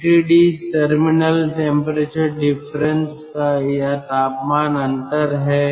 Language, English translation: Hindi, tt d is terminal temperature difference, terminal temperature difference